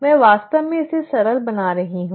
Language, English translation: Hindi, I am really simplifying this